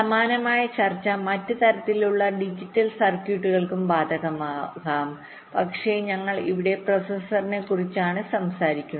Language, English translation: Malayalam, well, similar kind of discussion can apply to other kind of digital circuits also, but we are simply talking about ah processor here